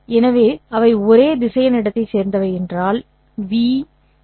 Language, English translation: Tamil, So, if they belong to the same vector space, then v